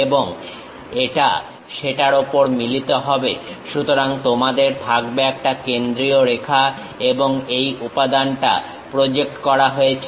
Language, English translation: Bengali, Now this one maps on to that; so, you will be having a center line and this material is projected